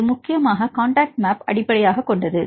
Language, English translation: Tamil, So it is mainly based on the contact maps